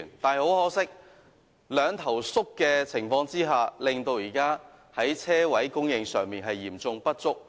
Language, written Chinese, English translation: Cantonese, 可惜，在"兩頭縮"的情況下，現時泊車位供應嚴重不足。, Unfortunately as a result of dual reduction there is currently an acute shortage of parking spaces